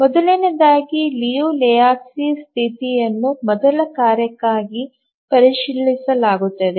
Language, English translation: Kannada, So first, let's check the Liu Lejevskis condition for the first task